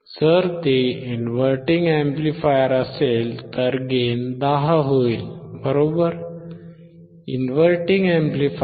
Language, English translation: Marathi, If it is inverting amplifier, it will be 10, right